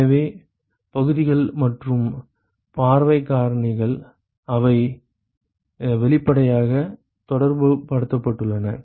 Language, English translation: Tamil, So, the areas and the view factors they are obviously correlated